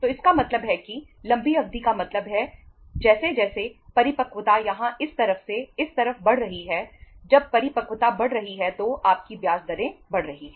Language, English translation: Hindi, So it means longer the duration means as the maturity is increasing here from this to this side when the maturity is increasing your interest rates is increasing